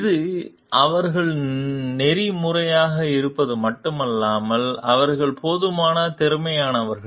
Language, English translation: Tamil, It is not only their being ethical, but they are competent also enough